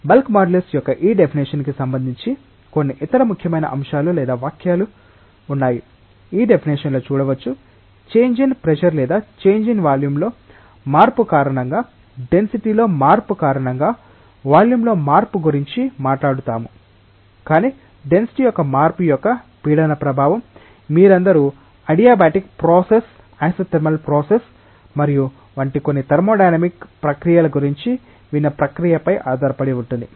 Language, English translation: Telugu, Couple of other important points or remarks are there regarding this definition of bulk modulus one is see in this definition, we have talked about a change in volume because of a change in pressure or equivalently a change in density because of a change in pressure, but pressure effect of change of density it depends on the type of process all of you have heard of certain thermodynamic processes like adiabatic process, isothermal process and so on